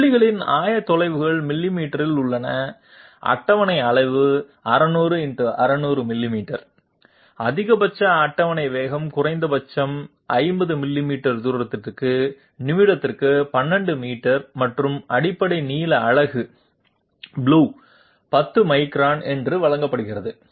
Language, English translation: Tamil, The coordinates of the points are in millimeters, the table size is 600 into 600 millimeters, the maximum table speed is 12 meters per minute for a minimum distance of 50 millimeters and the basic length unit is given to be 10 microns